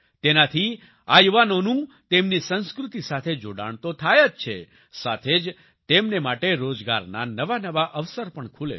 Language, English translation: Gujarati, With this, these youth not only get connected with their culture, but also create new employment opportunities for them